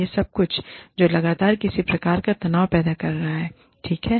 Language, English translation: Hindi, All of this is something, that is constantly causing, some sort of tension